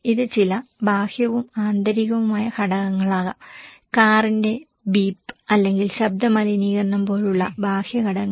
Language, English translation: Malayalam, It could be some external and internal factors, external factors like the beep of car or sound pollutions